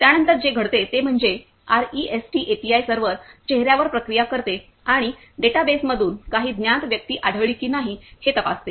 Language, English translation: Marathi, After that what happens is the REST API server processes the faces and checks whether some known person is found from the database